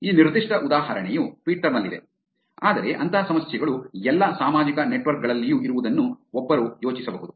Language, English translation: Kannada, This particular example is on Twitter, but one could think of such problems being on all social networks also